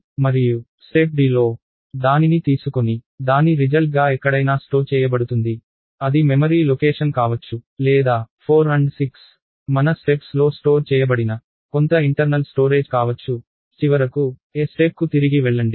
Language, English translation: Telugu, And a step D would be take it and store it back as a result somewhere, it could be either a memory location or it could be some internal storage, like 4 and 6 were stored in our steps and finally, go back to step A itself look for the next instruction and so, on